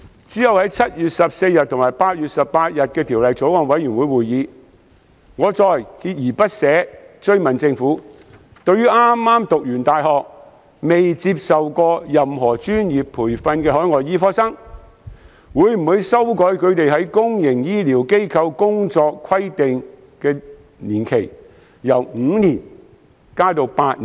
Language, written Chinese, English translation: Cantonese, 其後，在7月14日和8月18日的法案委員會會議上，我再鍥而不捨地追問，政府會否就剛剛大學畢業、尚未接受任何專業培訓的海外醫科生，修改他們在公營醫療機構工作的規定年期，由5年延長至8年。, Afterwards at the meetings of the Bills Committee on 14 July and 18 August I repeatedly asked the Government whether it would propose an amendment to extend the specified period of employment from five years to eight years so that overseas medical graduates who were yet to receive professional training would be required to serve in public healthcare institutions for a longer period . Here I would like to clarify one thing